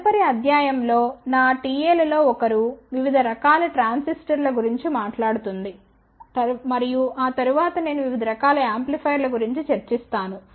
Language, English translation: Telugu, in the next lecture one of my T S will talk about different types of transistors and after that I will discuss about different types of amplifiers